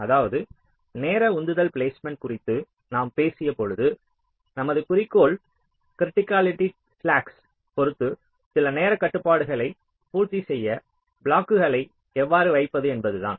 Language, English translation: Tamil, when we talked about timing driven placement, our objective was how to place the blocks such that some timing constraints were made with respect to criticality, slacks, on so on